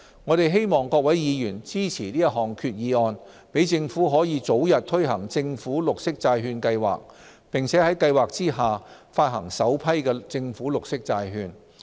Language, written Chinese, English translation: Cantonese, 我希望各位議員支持這項決議案，讓政府可早日推行政府綠色債券計劃，並在計劃下發行首批政府綠色債券。, I hope Members will support this Resolution to facilitate the launch of the Programme and the issuance of an inaugural government green bond as soon as possible